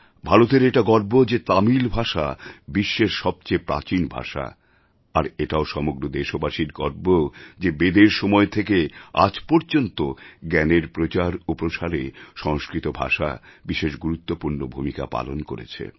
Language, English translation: Bengali, We Indians also feel proud that from Vedic times to the modern day, Sanskrit language has played a stellar role in the universal spread of knowledge